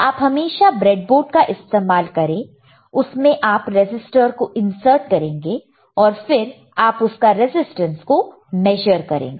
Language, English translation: Hindi, You can always use the breadboard, and you can insert the register, insert the resistor, and then you can again measure the resistance